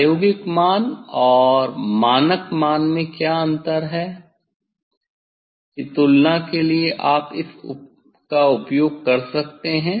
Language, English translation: Hindi, for comparison you can use that from experimental value and the standard value whether what is the difference